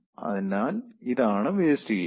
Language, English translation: Malayalam, so this is your waste heat